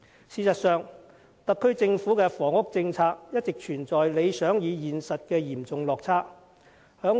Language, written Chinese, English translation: Cantonese, 事實上，特區政府的房屋政策一直存在理想與現實的嚴重落差。, As a matter of fact a serious gap has all along existed between the pledges and actual performances with regard to the housing policy of the SAR Government